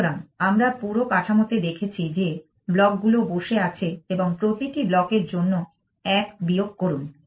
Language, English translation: Bengali, So, we are looking at the whole structure that the block is sitting on and subtract one for every block